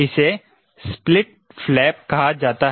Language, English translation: Hindi, this is called the split flap